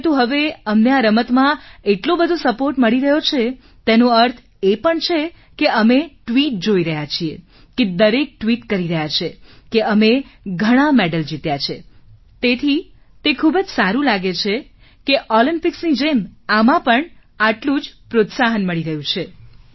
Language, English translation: Gujarati, It goes, but now we are getting so much support in this game also… we are seeing tweets…everyone is tweeting that we have won so many medals, so it is feeling very good that like Olympics, this too, is getting so much of encouragement